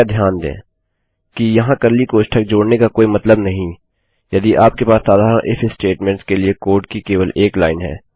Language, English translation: Hindi, Please note there is no point in adding curly brackets if you have only one line of code for simple IF statements like these